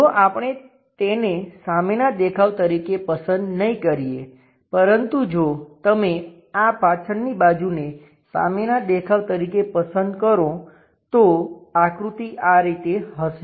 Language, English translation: Gujarati, If we are not picking that one as the front view, but if you are picking this back side one as the front view, the way figure will turns out to be in this way